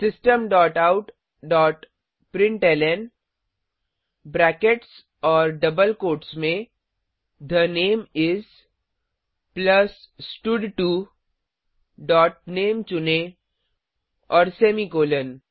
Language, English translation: Hindi, System dot out dot println within brackets and double quotes The name is, plus stud2 dot select name and semicolon